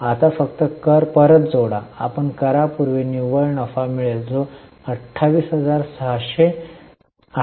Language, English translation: Marathi, We will get net profit before tax, which is 28,600